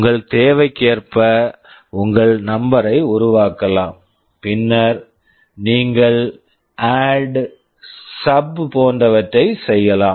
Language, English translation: Tamil, You can make your number as per your requirement and then you can do ADD, SUB, etc